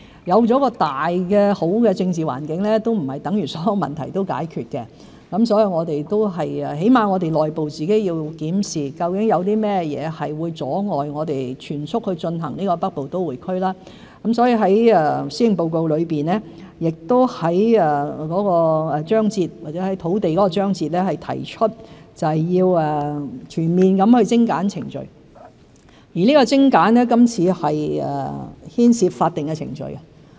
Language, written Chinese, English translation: Cantonese, 有了一個好的政治大環境，並不等於所有問題都已解決，起碼我們內部要檢視，究竟有甚麼會阻礙我們全速進行北部都會區發展，所以我在施政報告內的土地章節中提出，要全面精簡程序，而精簡牽涉法定程序。, Currently the political environment is good but it does not mean that all problems are gone . We should at least conduct an internal review to identify the obstacles standing in our way of developing the Northern Metropolis at full steam . That is why I have proposed in the chapter on land supply in the Policy Address to streamline all relevant procedures including the statutory ones